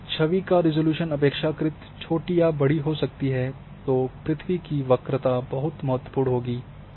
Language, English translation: Hindi, So, there is why if your resolution relatively low or coarser resolution image then the curvature of the earth will play very important role